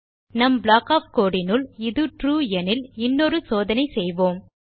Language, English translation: Tamil, And inside our block of the code if this is TRUE we will perform another check